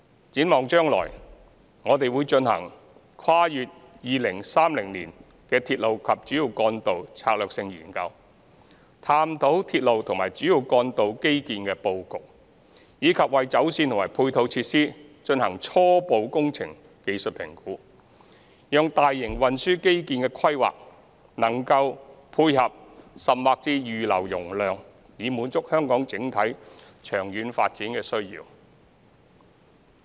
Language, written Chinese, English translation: Cantonese, 展望將來，我們會進行《跨越2030年的鐵路及主要幹道策略性研究》，探討鐵路及主要幹道基建的布局，以及為走線和配套設施進行初步工程技術評估，讓大型運輸基建的規劃能配合甚或預留容量，以滿足香港整體長遠發展的需要。, Looking ahead we will conduct the Strategic Studies on Railway and Major Roads beyond 2030 to explore the layout of railway and major road infrastructure and conduct preliminary engineering and technical assessments for their alignments and supporting facilities so as to ensure that the planning of large - scale transport infrastructure will complement or even reserve capacity to meet the overall long - term development needs of Hong Kong